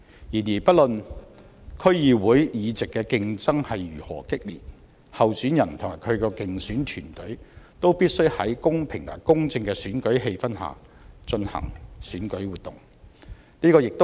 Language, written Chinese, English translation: Cantonese, 然而，不論區議會議席的競爭如何激烈，候選人及其競選團隊都必須在公平和公正的選舉氣氛下進行選舉活動。, Despite the keen competition candidates and their electioneering teams must be able to conduct their electoral activities in a fair and just environment